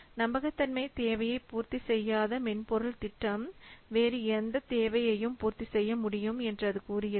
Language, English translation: Tamil, It says that a software project that does not have to meet a reliability requirement can meet any other requirement